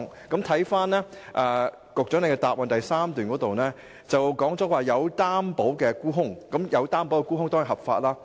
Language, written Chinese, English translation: Cantonese, 局長在主體答覆第三部分提到"有擔保沽空"，而這當然是合法的。, The Secretary mentioned covered short sales in part 3 of the main reply and they are definitely legitimate